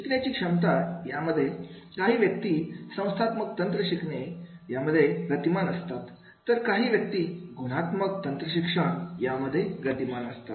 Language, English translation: Marathi, In the case of the ability to learn some people they are very fast in the learning the quantitative techniques, some people are very fast to learn into the qualitative technique